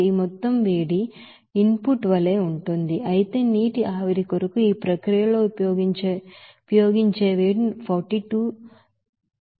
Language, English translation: Telugu, This total amount will be as heat input whereas we will see that heat utilized in the process for the vaporization of water is 42915